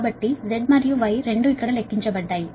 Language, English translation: Telugu, so z and y, both here computed